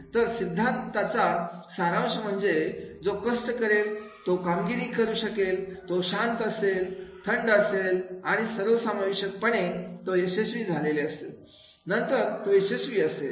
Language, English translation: Marathi, So ultimately that theory that is the who will be making the hard work, who will be performing, who will be keep calm, cool and collect you, then they are supposed to be the successful and they will be successful